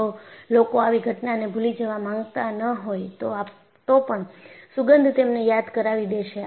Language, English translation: Gujarati, So, people cannot, even if they want to forget that such a thing happened, a smell will remind them